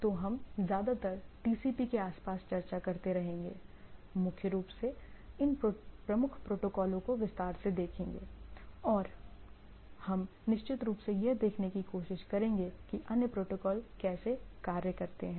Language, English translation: Hindi, So, we will be mostly hovering around the TCP; primarily looking out at these major protocols and of course, opening of that what are the other protocols and other things etcetera